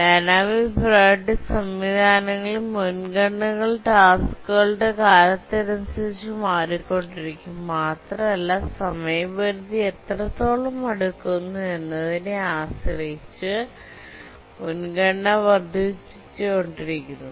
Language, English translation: Malayalam, In the dynamic priority systems, the priorities of the tasks keep on changing with time depending on how close there to the deadline the priority keeps increasing